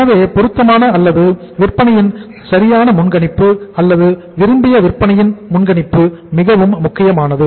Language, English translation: Tamil, So appropriate or the proper forecasting of the sales or the say you can call it as the desired forecasting of the sales is a very important requirement